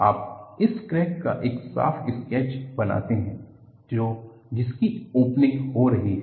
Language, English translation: Hindi, You make a neat sketch of this crack that is opening